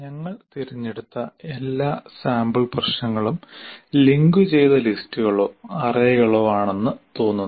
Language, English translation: Malayalam, All sample problems that we have chosen appear to be a linked list or arrays